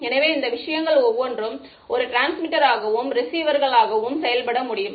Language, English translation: Tamil, So, each of these things can act as both as a transmitter and receiver